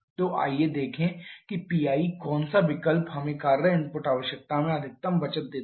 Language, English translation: Hindi, So, let us see at what choice of P I gives us the maximum saving in the work input requirement